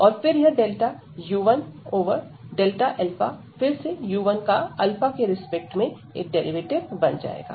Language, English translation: Hindi, And then this delta u 1 over delta alpha will become the derivative again of u 1 with respect to alpha